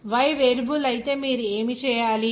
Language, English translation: Telugu, Then what you have to do if Y is a variable